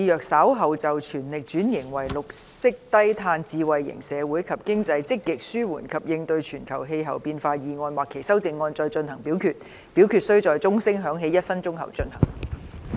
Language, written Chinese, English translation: Cantonese, 主席，我動議若稍後就"全力轉型為綠色低碳智慧型社會及經濟積極紓緩及應對全球氣候變化"所提出的議案或修正案再進行點名表決，表決須在鐘聲響起1分鐘後進行。, President I move that in the event of further divisions being claimed in respect of the motion on Fully transforming into a green and low - carbon smart society and economy and proactively alleviating and coping with global climate change or any amendments thereto this Council do proceed to each of such divisions immediately after the division bell has been rung for one minute